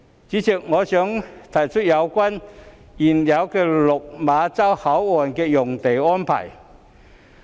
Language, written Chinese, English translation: Cantonese, 主席，我想提出有關原有落馬洲口岸的用地安排。, President I wish to talk about land use arrangements for the original Lok Ma Chau port